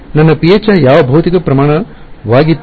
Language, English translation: Kannada, What physical quantity was my phi